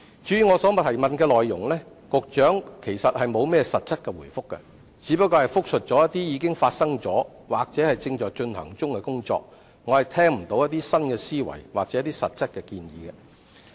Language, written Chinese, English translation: Cantonese, 至於我所提出的主體質詢，局長其實並沒有實質答覆，只是複述一些已發生或正在進行的工作，我聽不到有新思維或實質建議。, As for my main question the Secretary has failed to give a specific answer . He has merely recapped the efforts the authorities have already made or are now making . I do not hear any new thinking or concrete proposals